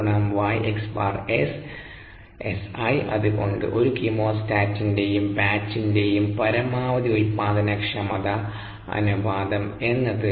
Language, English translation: Malayalam, therefore, the ratio of the maximum productivities of a chemostat to that of a batch is three to four